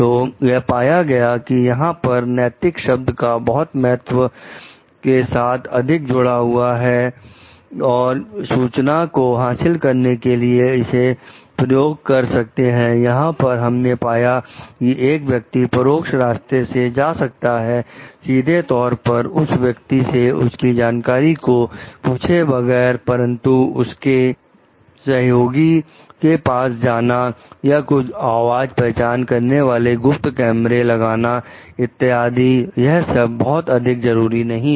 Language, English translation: Hindi, So, what we find the word ethics here is more connected with the constraints and the means one can use to obtain information like: there we find that person went through an indirect route like, not asking the person directly to share his or her knowledge, but going to his assistant or putting some voice recognition secret cameras etcetera which is not very desirable